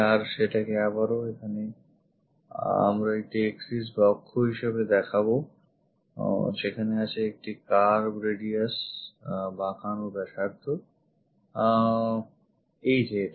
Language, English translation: Bengali, So, we show that as an axis again here there is a curve radius, this one